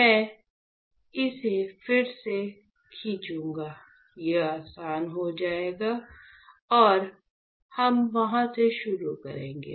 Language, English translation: Hindi, So, I will draw it right, here again, it becomes easier and we will start from there